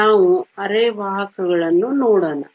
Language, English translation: Kannada, Let us look at semiconductors